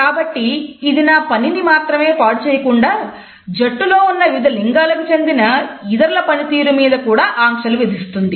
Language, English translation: Telugu, So, it constricts not only my performance, but it also puts certain under constraints on the performance of other team members also who may belong to different genders